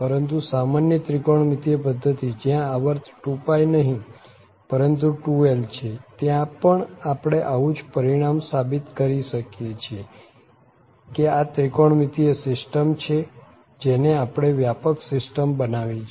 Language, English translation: Gujarati, But for a rather general trigonometric system where the period is not 2 pi but it is 2l, we can also prove the same similar result that this trigonometric system and now we have generalize the system